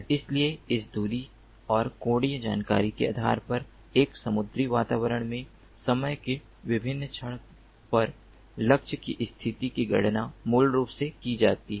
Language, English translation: Hindi, so based on this distance and angular information, the position of the target at different instance of time in a marine environment is basically computed